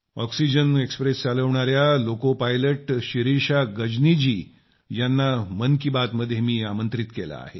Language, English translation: Marathi, I have invited Shirisha Gajni, a loco pilot of Oxygen Express, to Mann Ki Baat